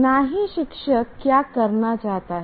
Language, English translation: Hindi, Nor what the teacher is a teacher is wanting to do